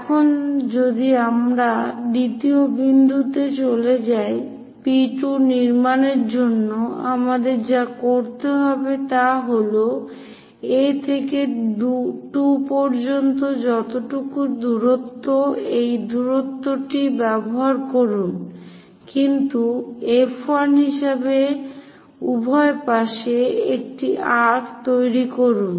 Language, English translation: Bengali, Now, if we are moving to the second point to construct P 2 what we have to do is from A to 2 whatever the distance use that distance, but centre as F 1 make an arc on either side